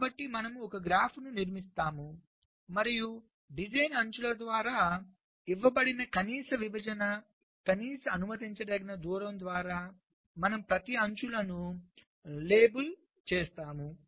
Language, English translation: Telugu, so we construct a graph and we label each of the edges by the minimum separation, ok, minimum allowable distance, which is given by the design rules